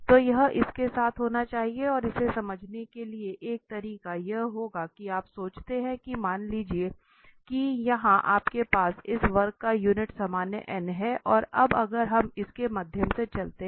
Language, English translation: Hindi, So, that has to be in line with and to understand this the one way would be that you think that, suppose here you have the unit normal n on this curve and now having if we walk through